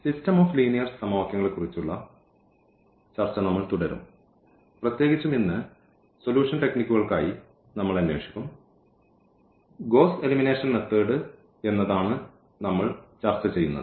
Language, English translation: Malayalam, We will be continuing our discussion on System of Linear Equations and in particular, today we will look for the solution techniques that is the Gauss Elimination Method